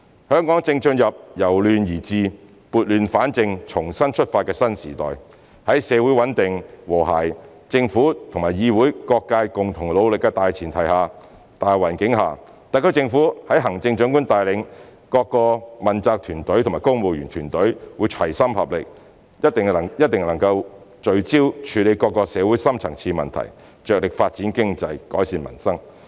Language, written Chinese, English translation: Cantonese, 香港正進入由亂而治，撥亂反正，重新出發的新時代，在社會穩定和諧、政府與議會各界共同努力的大前提、大環境下，特區政府在行政長官帶領下，各問責團隊和公務員團隊會齊心合力，一定能夠聚焦處理各種社會的深層次問題，着力發展經濟、改善民生。, Hong Kong is going to enter a new age when we can restore order from chaos set things right and set sail again . Under the prerequisite of social stability and harmony and with the concerted efforts of the Government the Council and all sectors the SAR Government under the leadership of the Chief Executive and with the accountability teams and the civil service working as one can focus on handling various deep - rooted social problems vigorously promote economic development and improve peoples livelihood